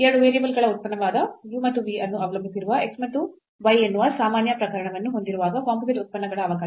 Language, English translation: Kannada, So, the differentiation of the composite functions when we have this more general case that x and y they also depend on u and v a functions of 2 variables